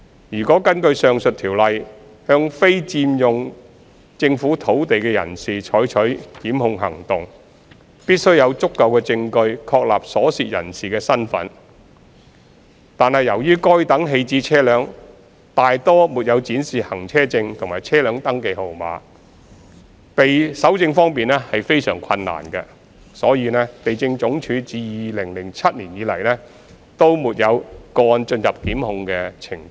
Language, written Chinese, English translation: Cantonese, 若要根據上述條例向非法佔用政府土地的人士採取檢控行動，必須有足夠證據確立所涉人士的身份，惟由於該等棄置車輛大多沒有展示行車證和車輛登記號碼，搜證方面非常困難，因此，地政總署自2007年沒有個案進入檢控程序。, In order to instigate prosecution against the person occupying government land unlawfully under the above Ordinance there must be sufficient evidence to establish the identity of the person involved . Nevertheless most of the abandoned vehicles do not display any vehicle licence and vehicle registration number thus making it highly difficult to gather evidence . For this reason LandsD has not instigated any prosecutions against such cases since 2007